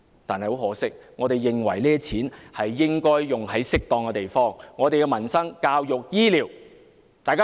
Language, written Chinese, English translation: Cantonese, 不過，我們認為這些錢應用於適當的地方，例如民生、教育、醫療。, Yet we consider that the money should be spent properly such as on peoples livelihood education and health care